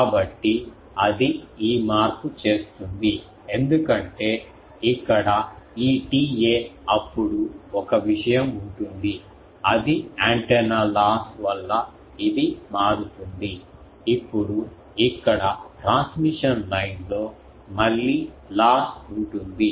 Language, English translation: Telugu, So, that will make this change because this T A here then there will be one thing is due to antenna loss this will change, now here there will be loss again in the transmission line